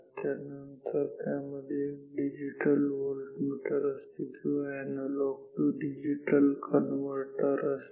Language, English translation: Marathi, After, that it can have a digital voltmeter or analogy to digital converter